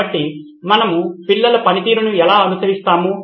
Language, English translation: Telugu, So how do we track the performance of the child